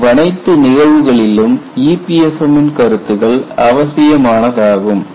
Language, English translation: Tamil, In all those cases EPFM concepts are essential